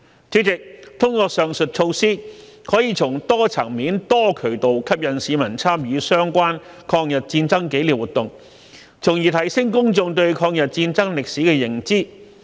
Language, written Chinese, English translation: Cantonese, 主席，通過上述措施，可以從多層面、多渠道吸引市民參與相關抗日戰爭紀念活動，從而提升公眾對抗日戰爭歷史的認知。, President through the measures mentioned above we can encourage the public to take part in commemorative activities for the War of Resistance at multiple levels and in an all - embracing manner . In doing so we can enhance the publics awareness of the history of the War of Resistance